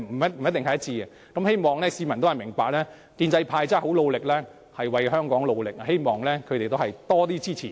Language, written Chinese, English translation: Cantonese, 因此，我希望市民明白建制派是很努力為香港工作的，希望市民給予建制派更多支持。, Hence I hope members of the public will understand that the pro - establishment camp is working hard to serve Hong Kong and I hope they will give pro - establishment Members more support